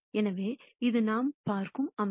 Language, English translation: Tamil, So, this is the kind of system that we are looking at